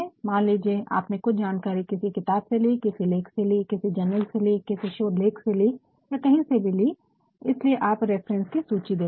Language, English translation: Hindi, Suppose some information you have taken from a book, from an article,from a journal, from a paper whatsoever that is why you are also to provide a list of references list of references